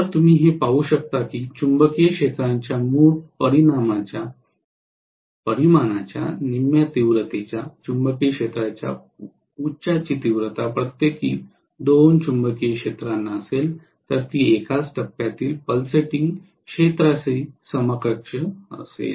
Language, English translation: Marathi, So you can very well see that if I consider two revolving magnetic fields each having a magnitude of half the original magnitude of the magnetic field, peak of the magnetic field then it will be equivalent to a single phase pulsating field